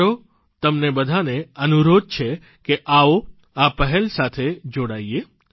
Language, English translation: Gujarati, I urge you to the utmost, let's join this initiative